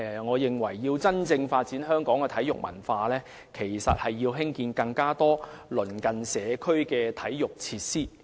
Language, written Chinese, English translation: Cantonese, 我認為，要真正發展香港的體育文化，應要興建更多鄰近社區的體育設施。, In my view in order to truly develop a sports culture in Hong Kong more sports facilities should be installed at locations close to communities